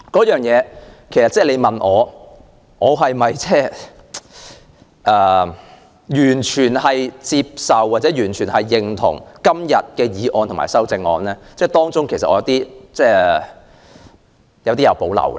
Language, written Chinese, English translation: Cantonese, 如果問我是否完全接受或認同原議案及修正案，其實我對當中一些建議有所保留。, If I am asked whether I fully accept or agree with the original motion and the amendments I will say that I actually have reservations about some of the proposals